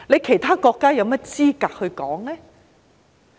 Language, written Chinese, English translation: Cantonese, 其他國家有甚麼資格說呢？, In what position are other countries to comment on this?